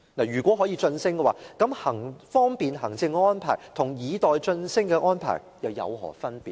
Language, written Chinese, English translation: Cantonese, 如果可以晉升，那麼方便行政和以待晉升的安排又有何分別呢？, If she was suitable for promotion then what is the difference between acting for administrative convenience and acting with a view of promotion?